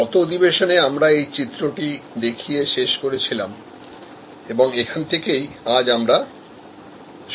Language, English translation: Bengali, In the last session, we ended with this particular diagram and this is where we will start today